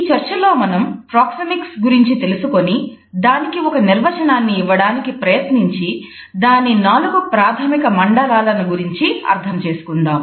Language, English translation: Telugu, In this discussion we would look at Proxemics, try to define it and understand the four basic zones of Proxemics